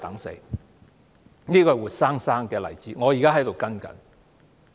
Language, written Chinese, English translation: Cantonese, 這個活生生的例子，我正在跟進。, This is a living example and I am following up on her case now